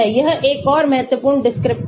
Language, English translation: Hindi, this is another important descriptor